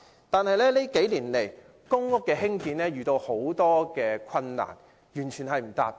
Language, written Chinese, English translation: Cantonese, 但近年來，興建公屋遇到重重困難，以致完全未能達標。, However in recent years the construction of PRH units has encountered various difficulties rendering it completely impossible to meet the targets